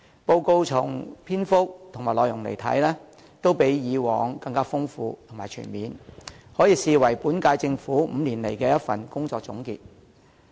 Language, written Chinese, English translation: Cantonese, 報告的篇幅和內容，看來都較以往更豐富和全面，可視為本屆政府5年來的一份工作總結。, It seems that the Policy Address is delivered in greater length and with richer and more comprehensive contents and it can be regarded as a summary of the work of the current term Government in the last five years